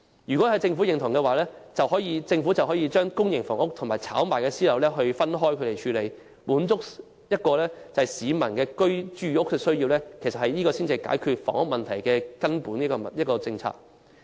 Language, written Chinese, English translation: Cantonese, 如果政府贊同我的建議，便應把公營房屋及可供炒賣的私樓分開處理，以滿足市民的住屋需要，其實這才是解決房屋問題的根本政策。, If the Government agrees with my proposal it should deal with public housing and private residential flats which can be used for speculation separately in order to satisfy the housing needs of the public . Actually this policy is fundamental to solving the housing problems